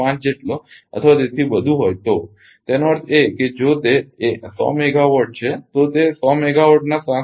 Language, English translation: Gujarati, 5 say for this system; that means, if it is a 100 megawatt it is 7